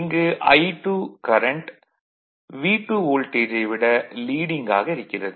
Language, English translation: Tamil, The voltage I 2 is leading voltage V 2